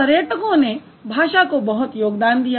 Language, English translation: Hindi, So the travelers contributed a lot to it